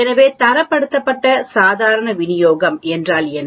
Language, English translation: Tamil, So what is standardized normal distribution